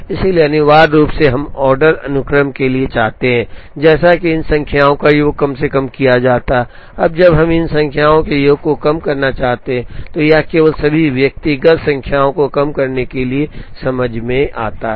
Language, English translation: Hindi, So, essentially we want to for the order sequence, such that sum of these numbers are minimized, now when we want to minimize the sum of these 4 numbers, it only makes sense to minimize all the individual numbers